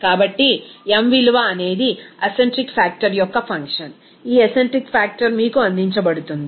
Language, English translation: Telugu, So, m value is a function of acentric factor, this acentric factor is given to you